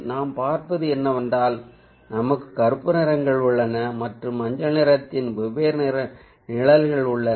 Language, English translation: Tamil, here what we see is that we have a black colors are the different shades of yellow